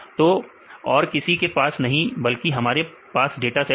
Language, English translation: Hindi, So, no one we have the data sets